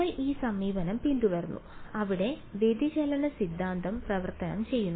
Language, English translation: Malayalam, We followed this approach where we use the divergence theorem to convert it